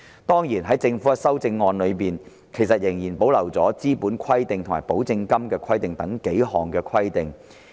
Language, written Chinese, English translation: Cantonese, 當然，在政府的修正案中，其實仍然保留了"資本規定"及"保證金規定"等數項規定。, Certainly the Government has maintained several requirements such as the requirements on capital and guarantee money in its amendments